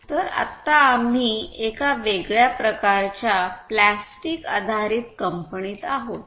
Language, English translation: Marathi, So, right now, we are in a different type of company a plastic based company